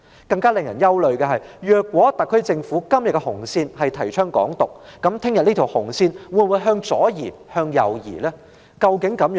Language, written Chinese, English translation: Cantonese, 更令人憂慮的是，如果今天特區政府的紅線是提倡"港獨"，明天這條紅線又會否向左移或向右移？, What is more worrying is that if the red line of the SAR Government today is the advocacy of Hong Kong independence will this red line be shifted to the left or to the right tomorrow?